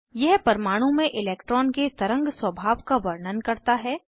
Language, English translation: Hindi, It describes the wave like behavior of an electron in an atom